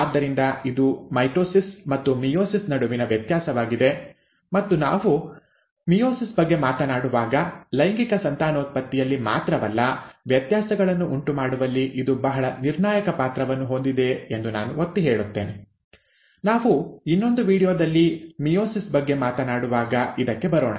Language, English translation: Kannada, So this is the difference between mitosis and meiosis and when we talk about meiosis, I will also emphasize that it has a very crucial role to play, not only in sexual reproduction, but in inducing variations; and we will come to it when we talk about meiosis in another video